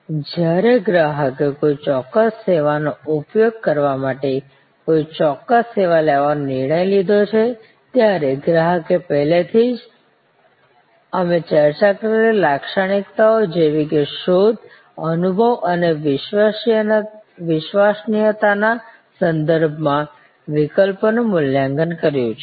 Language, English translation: Gujarati, So, when a customer has taken a decision to occur a particular service to use a particular service, then already the customer has evaluated the alternatives with respect to those attributes that we discussed, the search attributes, the experience attributes and the credence attributes